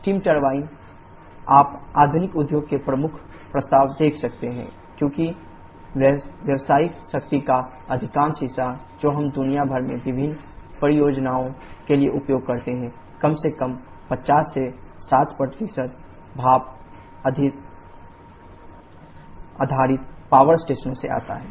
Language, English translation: Hindi, The steam turbine is you can see the prime mover of the modern industry because most part of the commercial power that we use for various purposes throughout the world at least 50 to 60% of that come from steam based power stations